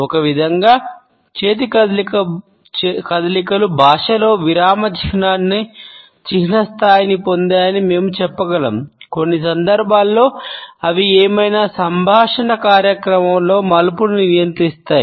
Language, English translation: Telugu, In a way we can say that hand movements have taken the place of punctuation in language, in certain situations they regulate turn taking during any conversation event